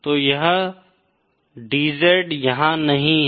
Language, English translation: Hindi, So this DZ is not there